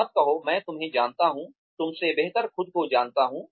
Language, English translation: Hindi, Do not say, I know you, better than you know, yourself